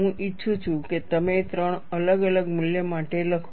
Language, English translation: Gujarati, It is enough if you write for 3 different values